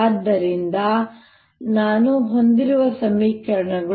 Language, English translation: Kannada, now let us look at the equation